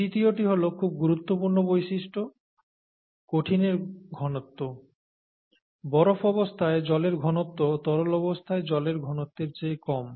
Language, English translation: Bengali, This third one is a very important aspect, the solid density; the density of ice form of water is lower than the liquid density, okay